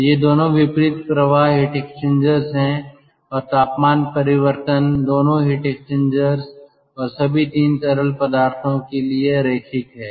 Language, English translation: Hindi, so both of them are counter current heat exchangers, ok, and the temperature change that is linear in ah, both the heat exchangers and for all the three fluids